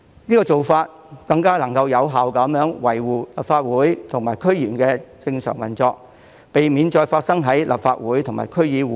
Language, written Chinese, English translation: Cantonese, 這做法能更有效維護立法會和區議會的正常運作，避免再次發生亂象。, This can effectively maintain the normal operation of the Legislative Council and DCs and prevent the recurrence of the chaotic situation